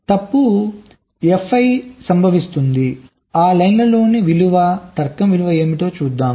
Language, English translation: Telugu, so fault f i occurs, what will be the value, logic value on that line